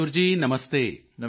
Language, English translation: Punjabi, Mayur ji Namaste